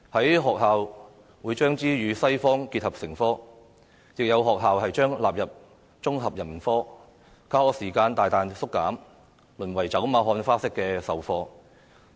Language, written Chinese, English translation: Cantonese, 有學校會將中史與西史結合成科，亦有學校將中史納入綜合人文科，教學時間大大縮減，淪為走馬看花式的授課。, While some schools combine Chinese History and World History into one subject some schools include Chinese History into the subject of Integrated Humanities . Owing to a significant reduction of teaching hours the subject is taught in a perfunctory and superficial manner